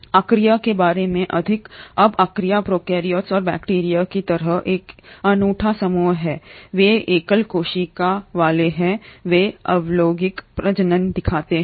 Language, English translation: Hindi, More about Archaea; now Archaea is another unique group of prokaryotes and like bacteria, they are single celled, they do show asexual reproduction